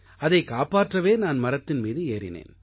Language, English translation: Tamil, So I climbed the tree to save it